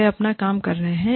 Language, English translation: Hindi, They are doing, their work